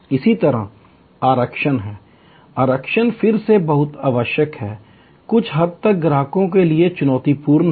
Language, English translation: Hindi, Similarly, there are reservations, reservation are again very necessary, somewhat challenging for the customers